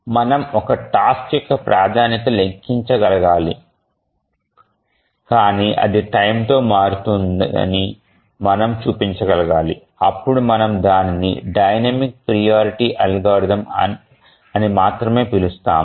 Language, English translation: Telugu, So, not only we should be able to calculate the priority of a task, but also we should change the, we should show that it changes with time, then only we can call it as a dynamic priority algorithm